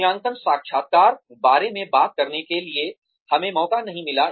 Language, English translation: Hindi, We did not get a chance, to talk about, appraisal interviews